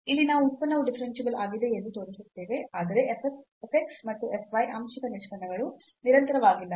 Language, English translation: Kannada, Next problem, here we will show that the function is differentiable, but f x and f y the partial derivatives are not continuous